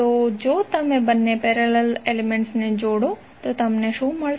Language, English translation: Gujarati, So if you combine both all the parallel elements, what you will get